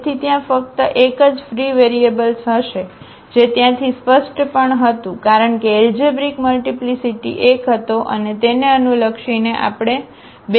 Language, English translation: Gujarati, So, there will be only one free variable which was clear from there also because the algebraic multiplicity was one and corresponding to that we cannot get two free variables